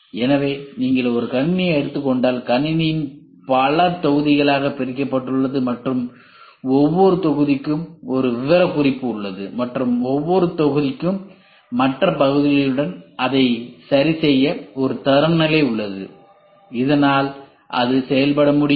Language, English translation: Tamil, So, if you take a computer, the computer is divided into several modules and each module has a specification and each module has a standard to fix it with the other part so that it can function